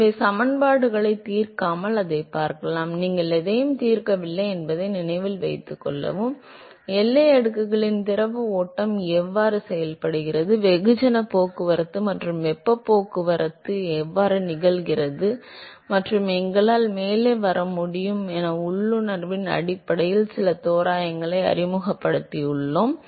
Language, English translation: Tamil, So, you can see that, without solving the equations; note that we have not solved anything, all we have done is we have introduced some approximations simply based on intuition as to how the fluid flow is behaving in the boundary layer, how mass transport and heat transport would occur and we are able to come up with some really comprehensive numbers which sort of characterizes the heat, mass transport and momentum transport in the boundary layer, ok